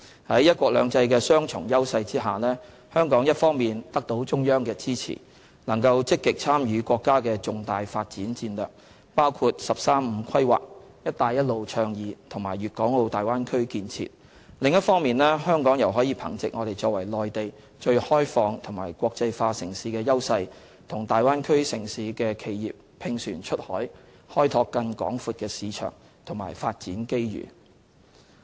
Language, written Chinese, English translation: Cantonese, 在"一國兩制"的雙重優勢下，香港一方面得到中央的支持，能夠積極參與國家的重大發展戰略，包括"十三五"規劃、"一帶一路"倡議及大灣區建設；另一方面，香港又可憑藉我們作為內地最開放和國際化城市的優勢，與大灣區城市的企業"拼船出海"，開拓更廣闊的市場和發展機遇。, Under the combined advantages of one country two systems Hong Kong has on the one hand the support from the Central Authorities to actively participate in the national development strategies including the 13 Five - Year Plan Belt and Road Initiative and the Bay Area development; and on the other hand Hong Kong can work with enterprises of cities in the Bay Area to explore more markets and development opportunities by virtue of our advantage as the most open and internationalized city in the Mainland